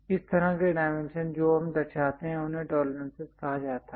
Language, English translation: Hindi, Such kind of dimensions what you represent are called tolerances